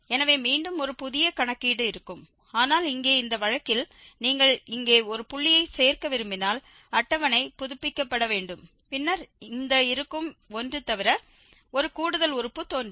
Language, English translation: Tamil, So, there will be again a fresh calculations, but here in this case if you want to add one more point here, the table has to be updated and then just one extra term will be appearing besides this existing one